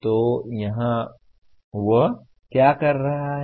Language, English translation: Hindi, So here what is he doing